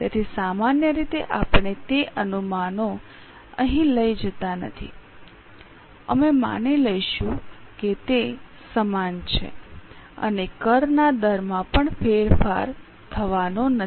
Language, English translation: Gujarati, So, normally we do not take those projections here, we will assume that they are same and tax rates are also not going to change